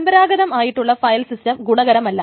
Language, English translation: Malayalam, Traditional file systems may not be useful